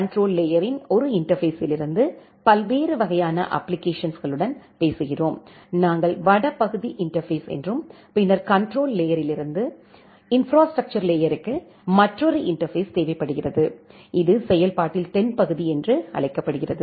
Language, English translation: Tamil, From the control layer one interface that talk with the applications different kind of applications that, we call as the northbound interface and then with the control layer to the infrastructure layer, we require another interface, which is called a southbound in process